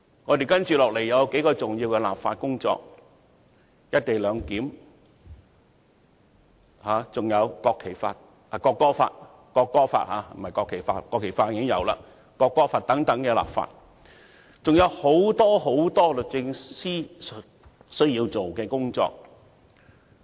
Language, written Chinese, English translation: Cantonese, 律政司接下來需要處理數項重要的立法工作，包括"一地兩檢"和《國旗法》——不，是《國歌法》才對，《國旗法》的本地立法工作早已完成——《國歌法》的本地立法工作，以及很多其他工作。, The Department of Justice will soon need to deal with a number of important legislative exercises including the local legislative exercises for the co - location arrangement and the National Flag Law―no it should be the National Anthem Law; the local legislative exercise for the National Flag Law was completed long ago―in addition to many other tasks